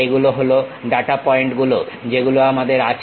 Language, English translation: Bengali, These are the data points what we have